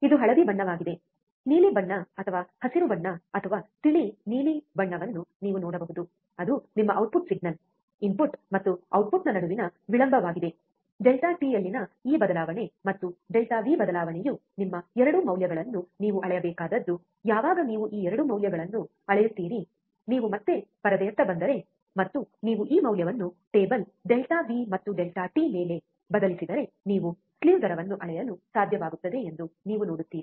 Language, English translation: Kannada, Which is yellow, you can see blue colour or greenish colour or light blue that is your output signal is a lag between input and output, this change in delta t, and change in delta V is your 2 values that you have to measure, when you measure these 2 values, if you come back to the screen, and you will see that if you put this value substitute this value onto the table delta V and delta t you are able to measure the slew rate